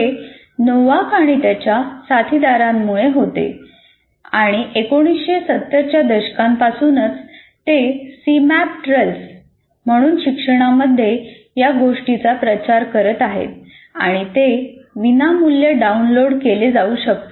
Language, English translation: Marathi, And this was due to Novak and his associates and right from 1970s onwards they have been promoting this in education and you have a free tool called Cmap 2, C map tools and it can be downloaded free